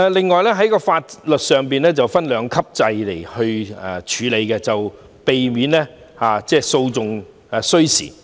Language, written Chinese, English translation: Cantonese, 此外，在法律上會引入兩級制處理擬議罪行，以避免訴訟需時。, In addition the proposed offences will be handled under a two - tier structure to avoid time - consuming litigation